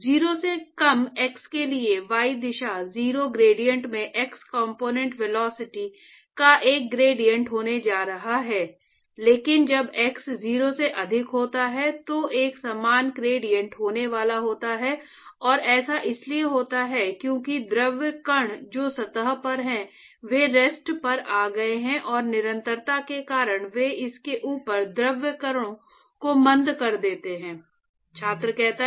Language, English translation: Hindi, So, for x less than 0 there is going to be a gradient of the x component velocity in the y direction 0 gradient, but when x is greater than 0, there is going to be a finite gradient and that is because the fluid particles which is at the surface, they have come to rest and because of continuity they retard the fluid particles above it ok